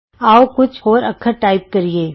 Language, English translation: Punjabi, Lets type a few more letters